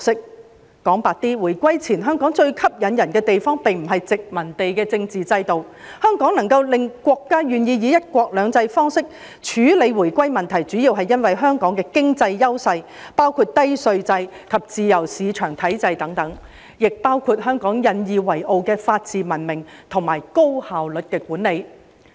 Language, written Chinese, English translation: Cantonese, 說得白一點，回歸前，香港最吸引人的地方，並不是殖民地的政治制度，香港能夠令國家願意以"一國兩制"方式處理回歸問題，主要是因為香港的經濟優勢，包括低稅制及自由市場體制等，亦包括香港引以為傲的法治文明及高效率管理。, To put it squarely the most attractive characteristic of Hong Kong before the handover was not its political system under the colonial rule . The major reason the State was willing to deal with the handover issue with the one country two systems approach was mainly due to Hong Kongs economic advantages including the low tax regime and the free market system as well as the rule of law a civilized society and highly efficient management which Hong Kong has been proud of